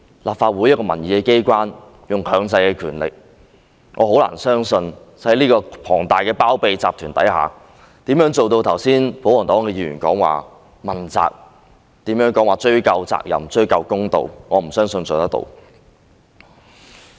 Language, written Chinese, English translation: Cantonese, 立法會是一個民意機關，可以運用強制的權力，但我很難相信在龐大的包庇集團下，可做到剛才保皇黨議員說的問責、追究責任，討回公道；我不相信可以做到。, The Legislative Council being representative of public opinions can make use of its coercive investigation powers . But under this huge syndicate of these people shielding one another hardly do I believe we can uphold accountability and pursue responsibility to seek justice just as the pro - Government Member said just now . I do not believe we can do that